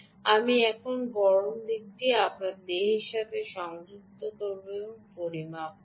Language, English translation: Bengali, i will connect the hot side here to my body, ok, and i will make a measurement